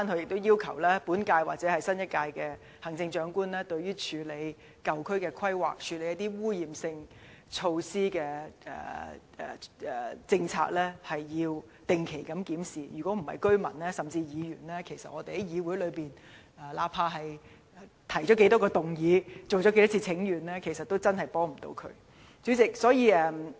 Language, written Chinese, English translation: Cantonese, 我亦要求本屆或新一屆行政長官定期檢視處理舊區規劃、污染性措施的政策，否則無論當區居民進行多少次請願，甚或議員在議會提出多少項議案，也無法提供任何實質幫助。, I also request the incumbent or the new Chief Executive to review the policies on the planning of old districts and the handling of contaminative business on a regular basis . Otherwise no matter how many petitions the local residents have staged or how many motions Members have put forward no practical help will be provided to improve the situation